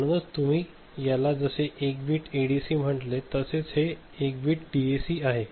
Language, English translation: Marathi, So, as you said this is 1 bit ADC that you can see and this is 1 bit DAC right